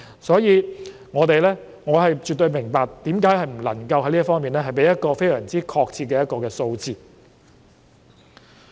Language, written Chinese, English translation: Cantonese, 所以，我絕對明白為何不能夠在這方面給予非常確切的數字。, Therefore I absolutely understand why it is impossible to give a very precise figure in this regard